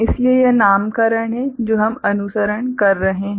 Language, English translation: Hindi, So, that is the nomenclature that is what we are following